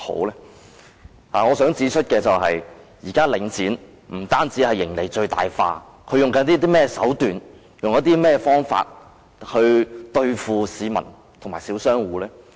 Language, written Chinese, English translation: Cantonese, 然而，我想指出，現時領展不僅將盈利最大化，他們採取甚麼手段和方法對付市民和小商戶呢？, What is wrong with that? . However I would like to point out that now Link REIT not only maximizes its profits . What tactics and approaches does it adopt to deal with members of the public and small shop operators?